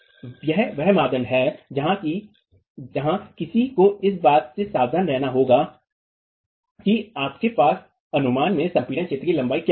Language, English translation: Hindi, So, this is a criterion where one has to be careful about what is the length of the compressed zone in your estimate